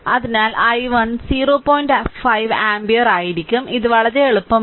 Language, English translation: Malayalam, 5 ampere right so, let me clear it very easy